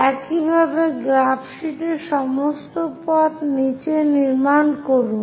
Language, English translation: Bengali, Similarly, construct on the graph sheet all the way down